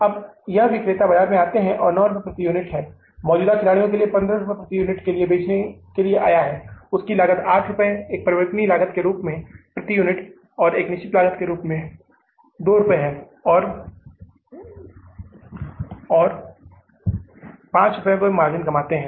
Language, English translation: Hindi, Now this player has come up in the market, they are selling for 9 rupees per unit, existing player was selling for the 15 rupees per unit, their cost was 8 rupees as a variable cost, as a fixed cost and 5 rupees margin they were earning